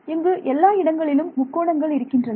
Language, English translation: Tamil, So, there are you know triangles everywhere and so on